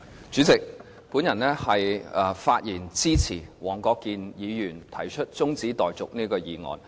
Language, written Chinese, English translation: Cantonese, 主席，我發言支持黃國健議員提出這項中止待續議案。, President I speak in support of the adjournment motion put forward by Mr WONG Kwok - kin